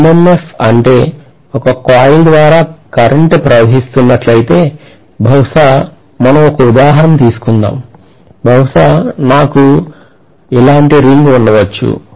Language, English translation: Telugu, What we mean by MMF is if I am passing a current through a coil, let us take probably an example, maybe I have a ring like this